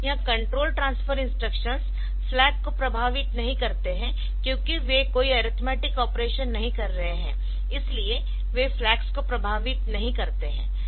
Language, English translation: Hindi, So, in this control transfer instructions they do not affect the flags so because they are not doing any arithmetic operation so they do not affect the flag